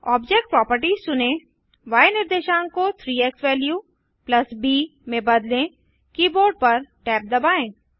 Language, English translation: Hindi, Select object properties change the y coordinates to 3 xValue + b, hit tab on the keyboard